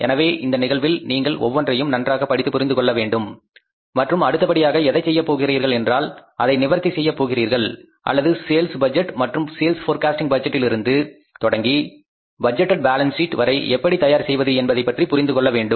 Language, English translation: Tamil, So, you have to read each and everything, understand this case fully and after that you will have to start doing it or solving it or understanding that how we prepare the budgets, starting with the sales budget, sales forecasting budget and ending up with the budgeted balance sheet